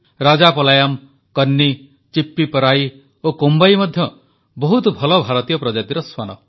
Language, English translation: Odia, Rajapalayam, Kanni, Chippiparai and Kombai are fabulous Indian breeds